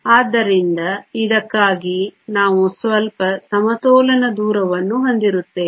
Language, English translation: Kannada, So, for this we will have some equilibrium distance